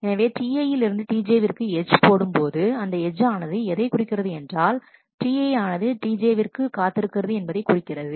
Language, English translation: Tamil, So, what do you put an edge from T i to T j, you put this edge in what it means is T i is waiting for T j